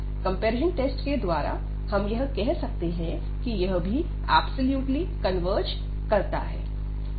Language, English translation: Hindi, And by the comparison test, we can again conclude that this also converges absolutely